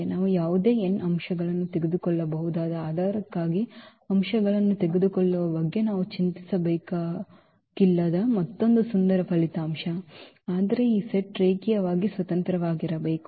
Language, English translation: Kannada, Another beautiful result that we do not have to worry about picking up the elements for the basis we can take any n elements, but that set should be linearly independent